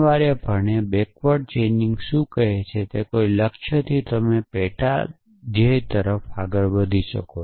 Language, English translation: Gujarati, Essentially, what backward chaining is saying is that from a goal you can move to a sub goal essentially